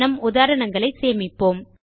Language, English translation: Tamil, Let us save our examples